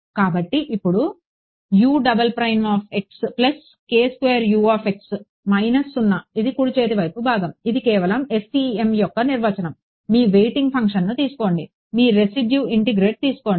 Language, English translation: Telugu, So, this is your this is just the definition of FEM take your waiting function, take your residual integrate